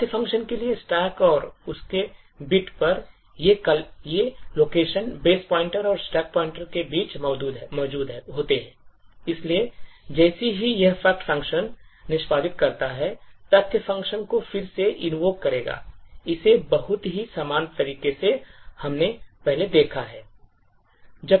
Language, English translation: Hindi, The locals for the fact function are then present on the stack and its bit, these locals are present between the base pointer and the stack pointer, so as the fact function executes it will recursively invoke the fact function, so in a very similar way as we have seen before